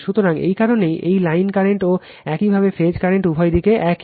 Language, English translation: Bengali, So, that is why this line current is equal to your phase current both are same right